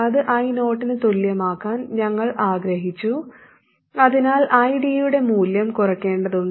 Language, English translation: Malayalam, We want it to be equal to I 0, so we have to reduce the value of ID